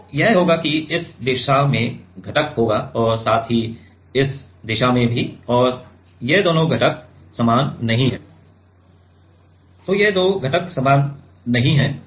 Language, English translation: Hindi, So, it will be have it will have one component here in this direction as well as in this direction and these two components are not same